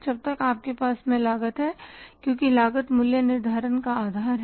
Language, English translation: Hindi, Unless you are you have the cause because cost is the basis of pricing